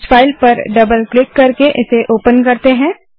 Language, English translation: Hindi, Let me open this file by double clicking on it